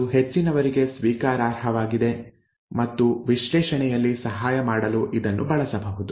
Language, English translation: Kannada, That is that is acceptable to most and that can be used to help in the analysis